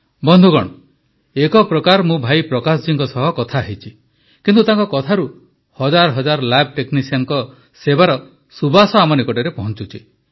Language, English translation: Odia, Friends, I may have conversed with Bhai Prakash ji but in way, through his words, the fragrance of service rendered by thousands of lab technicians is reaching us